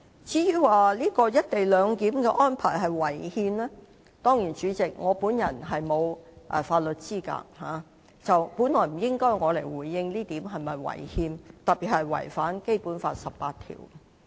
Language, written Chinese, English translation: Cantonese, 至於"一地兩檢"安排是否違憲，主席，我沒有法律資格，本來不應由我回應有關安排是否違憲，特別是否違反《基本法》第十八條。, On the constitutionality of the co - location arrangement President I am not a legal professional and thus I should not be in a position to comment if the arrangement is unconstitutional particularly whether or not it contravenes Article 18 of the Basic Law